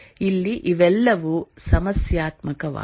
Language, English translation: Kannada, Here all these are problematic